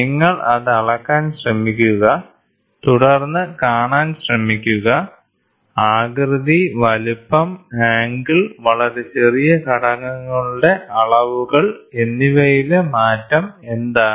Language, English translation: Malayalam, You try to measure it and then try to see; what are the change in shape, size, angle and even the dimensions of very small components